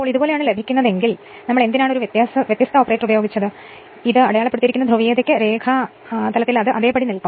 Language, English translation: Malayalam, If you get like this, then you but why I have used difference operator right, then the polarity as it is marked you have what you callin the diagram it will remain as it is